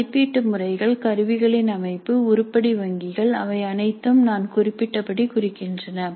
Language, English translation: Tamil, And the structure of assessment patterns and instruments, item banks, they are all indicative as I mentioned